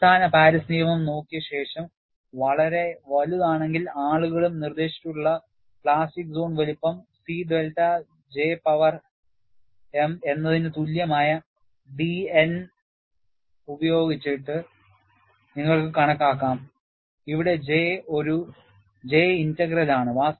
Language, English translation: Malayalam, After looking at the basic Paris law, people also have proposed, if we have very large plastic zone size, you can also calculate d a by d N equal to C delta J power m, where J is a J integral